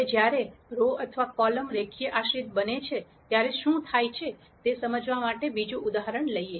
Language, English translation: Gujarati, Now, let us take another example to illustrate what happens when the rows or columns become linearly dependent